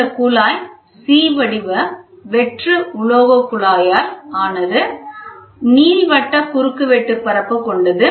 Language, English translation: Tamil, This tube is composed of a C shaped hollow metal tube, having an elliptical cross section